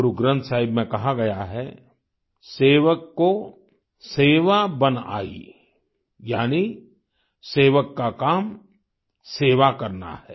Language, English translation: Hindi, It is mentioned in Guru Granth Sahib "sevak ko seva bun aayee", that is the work of a sevak, a servant is to serve